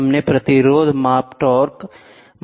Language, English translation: Hindi, We saw resistance measurement torque measurement